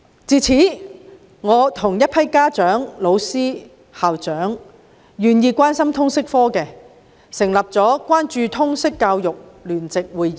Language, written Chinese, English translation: Cantonese, 自此，我與一批家長、老師、校長及願意關心通識科的人成立了關注通識教育聯席會議。, Since then I have teamed up with a group of parents teachers principals and people who care about the LS subject to set up the Joint Conference Concerning Liberal Studies in Hong Kong